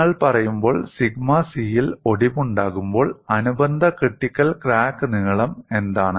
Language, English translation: Malayalam, When you say, when fracture occurs at sigma c, what is the corresponding critical crack length